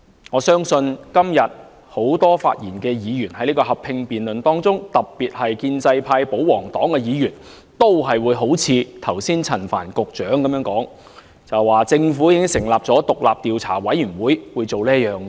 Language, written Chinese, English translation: Cantonese, 我相信今天很多就合併辯論發言的議員，特別是建制派、保皇黨的議員，都會像陳帆局長剛才那樣，說政府已經成立獨立調查委員會做各項工作。, I believe many Members who rise to speak in the joint debate today especially those pro - establishment and pro - Government Members would echo what Secretary Frank CHAN just said claiming that the Government has already appointed the independent Commission of Inquiry to undertake various tasks